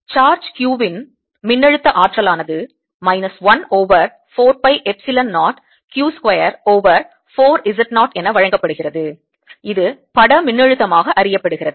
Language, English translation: Tamil, the potential energy of a charge, q, is given as minus one over four, pi, epsilon zero, q square over four, z, naught, and this is known as the image potential